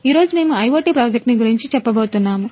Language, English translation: Telugu, Today we are going to present you an IoT project